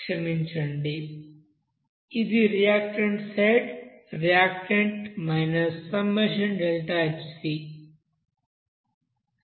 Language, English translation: Telugu, Sorry this is reactant side, reactant and minus summation of deltaHc standard heat of the combustion into you know ni